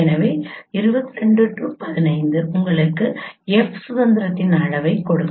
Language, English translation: Tamil, So 22 minus 15 will give you the degree of freedom of F